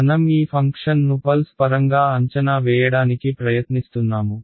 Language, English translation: Telugu, We are trying to approximate this function in terms of pulses